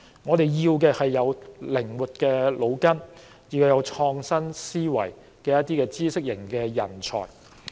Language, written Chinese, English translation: Cantonese, 我們需要的是腦筋靈活、有創新思維的知識型人才。, We need talents who are knowledgeable and with a vibrant and innovative mind